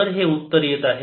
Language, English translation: Marathi, that's the answer